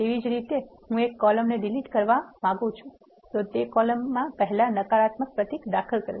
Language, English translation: Gujarati, Similarly, I want to delete a column one I chose that column and then insert a negative symbol before that column